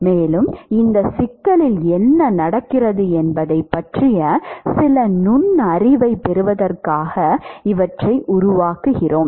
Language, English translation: Tamil, And, we make these so that we can actually get some insight as to what is happening in this problem